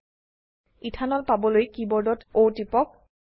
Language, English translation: Assamese, To obtain Ethanol, press O on the keyboard